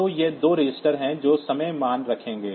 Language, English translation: Hindi, So, these are the two registers that will hold the time value